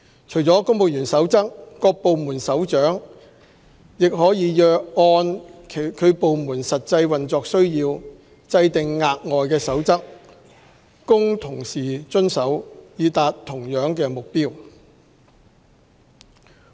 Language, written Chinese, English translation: Cantonese, 除了《公務員守則》，各部門首長也可按其部門實際運作需要，制訂額外守則供同事遵守，以達到同樣目的。, Apart from the Civil Service Code Heads of Department may in light of their operational needs lay down further regulations for compliance by their staff so as to serve the same purpose